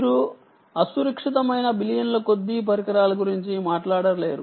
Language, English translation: Telugu, ok, you cant be talking about billions and billions of devices which are insecure